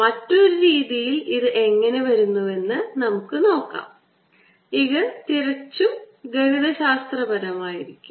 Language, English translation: Malayalam, let us now see an another way, how it arises, and this will be purely mathematical